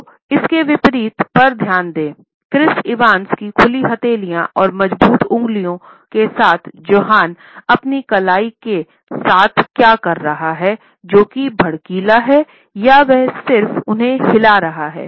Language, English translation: Hindi, So, pay attention to this contrast this with Chris Evans very open available palms and strong fingers to see what Jonah has going on with his wrists which it is kind of flimsy it kind of just shakes there